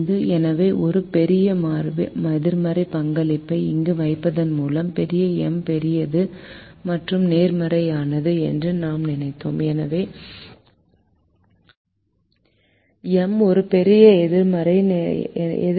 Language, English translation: Tamil, so we thought that by putting a large negative contribution here, big m is a large positive, so minus is a, a large negative